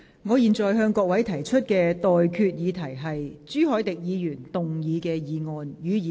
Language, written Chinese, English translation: Cantonese, 我現在向各位提出的待決議題是：朱凱廸議員動議的議案，予以通過。, I now put the question to you and that is That the motion moved by Mr CHU Hoi - dick be passed